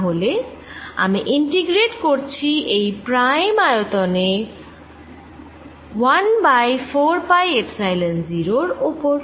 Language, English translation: Bengali, that is, i am integrating over this prime volume in one over four pi epsilon zero